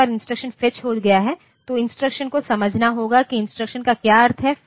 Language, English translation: Hindi, Once the instruction has been fetched then the instruction has to be understood like what the instruction means